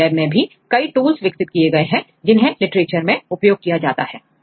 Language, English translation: Hindi, In our laboratory also we have developed various tools, which are widely used in the literature